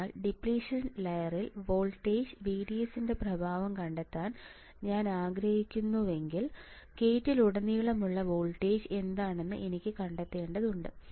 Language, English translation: Malayalam, So, if I want to find the effect of voltage VDS on depletion layer, I had to find what is the voltage across gate and drain all right